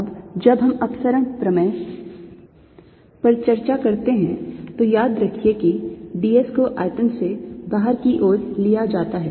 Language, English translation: Hindi, now, when we discuss divergence theorem, remember d s is taken to be pointing out of the volume